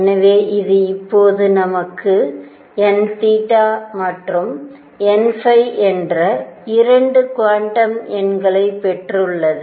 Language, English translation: Tamil, So, this is now we have got 2 quantum numbers, n theta and n phi